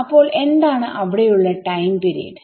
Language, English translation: Malayalam, So, what is the time period there